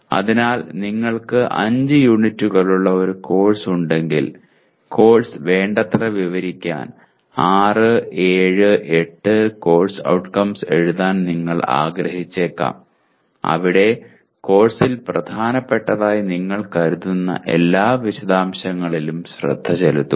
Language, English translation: Malayalam, So if you have a course with 5 units you may want to write 6, 7, 8 course outcomes to describe the course adequately where adequately means paying attention to all the details you consider important in the course